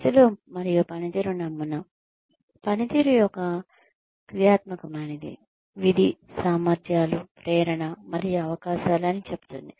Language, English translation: Telugu, People and performance model says that, performance is a functional, is a function of abilities, motivation, and opportunities